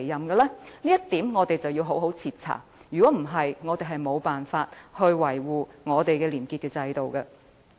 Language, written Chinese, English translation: Cantonese, 這一點我們必須好好徹查，否則將無法維護本港的廉潔制度。, We should carry out a thorough investigation of the case or else the system integrity of Hong Kong cannot be safeguarded